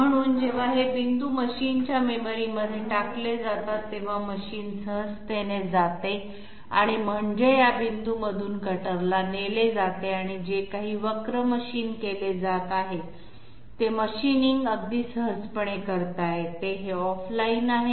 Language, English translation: Marathi, So when these points are dumped to the machine memory, the machine simply goes through I mean leads the cutter through these points and whatever curve is being machined that machining can be done very easily, this is off line